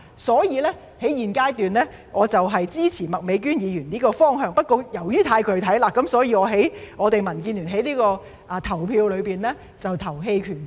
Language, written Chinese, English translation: Cantonese, 所以，我在現階段支持麥美娟議員的方向，不過由於太具體了，所以民建聯投票時會投棄權票。, Therefore I support Ms Alice MAKs direction at this stage but as the amendment goes into too many specifics DAB will abstain from voting